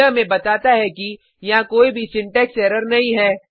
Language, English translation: Hindi, This tells us that there is no syntax error